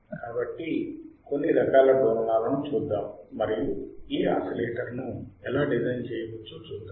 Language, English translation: Telugu, So, let us see kinds of oscillate and how we can design this oscillator